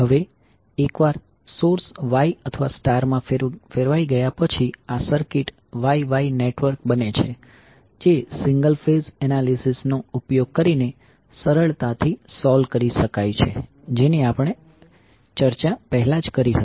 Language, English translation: Gujarati, Now once the source is transformed into Y or star, these circuit becomes Y Y network which can be easily solved using single phase analysis which we have already discussed